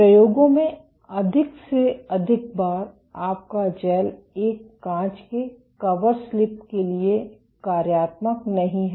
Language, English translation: Hindi, In experiments more often than not your gel is functionalized to a glass coverslip